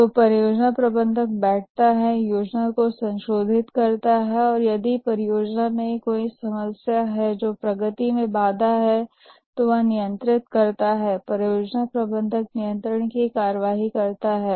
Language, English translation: Hindi, So the project's manager sits down, revises the plan, controls if there is a problem in the project which is hampering the progress, the project manager takes controlling action